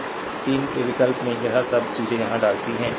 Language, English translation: Hindi, And in you substitute in 3, right all this things you put here